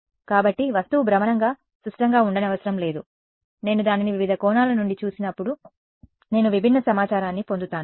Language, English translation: Telugu, So, because the object need not be symmetric rotationally, I will get different information when I am seeing it from different angles